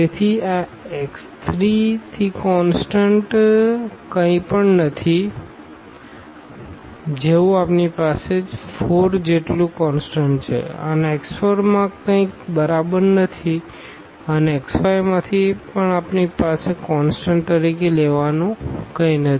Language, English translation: Gujarati, So, there is nothing constant from this x 3 we have 4 as constant and from x 4 there is nothing exactly and from x 5 also we do not have anything to take as a constant